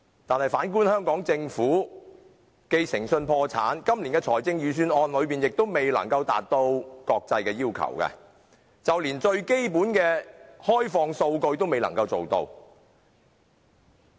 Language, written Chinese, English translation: Cantonese, 但是，反觀香港政府，誠信破產，今年的財政預算案亦未能達到國際要求，就連最基本的開放數據也未能做到。, Nevertheless we see that the Hong Kong Government is bankrupt when it comes to integrity . The Budget this year cannot satisfy international requirements even failing to meet the most basic requirement of open data